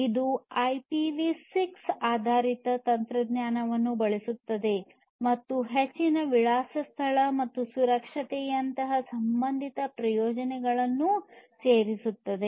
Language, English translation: Kannada, It uses the IPv6 based technology and adds the associated benefits such as increased address space and security